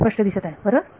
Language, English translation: Marathi, It is clear right